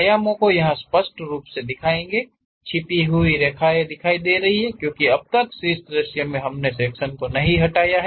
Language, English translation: Hindi, The dimensions clearly we will show, the hidden lines are clearly visible; because in top view as of now we did not remove the section